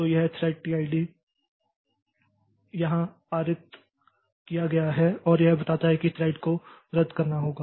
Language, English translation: Hindi, So, this thread is passed here and this tells that this thread has to be cancelled